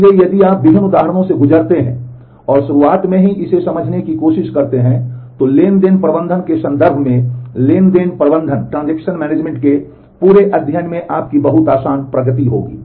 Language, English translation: Hindi, So, if you if you go through different examples and try to understand this at the very beginning, then in terms of the transaction management the whole study of transaction management you will have very easy progress